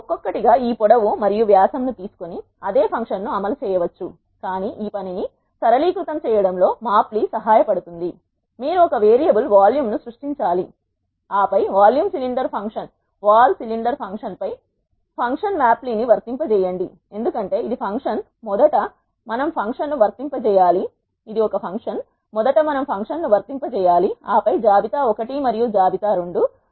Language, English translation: Telugu, You can individually take this length and dia and execute the same function, but it is so, tedious mapply helps in simplify this job for us you need to create one variable vol and then apply the function mapply on the vol cylinder function because this is the function first we need to apply the function and then the list 1 and list 2